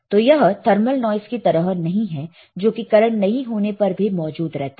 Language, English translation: Hindi, So, it is not like thermal noise that it is there even when we do not apply any current right